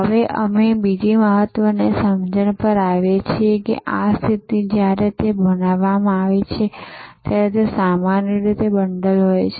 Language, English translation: Gujarati, Now, we come to another important understanding that this positioning, when it is created it is usually a bundle